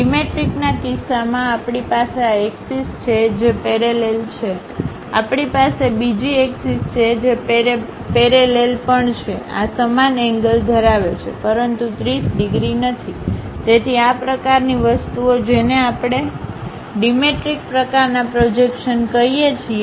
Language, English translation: Gujarati, In the case of dimetric, we have this axis which is parallel; we have another axis that that is also parallel, these are having same angle, but not 30 degrees; so, this kind of things what we call dimetric kind of projections